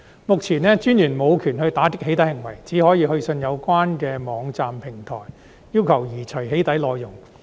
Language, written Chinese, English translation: Cantonese, 目前，私隱專員無權打擊"起底"行為，只可以去信有關的網站平台，要求移除"起底"內容。, At the Commissioner is currently not empowered to combat doxxing acts she can only write to the online platforms concerned to request the removal of doxxing contents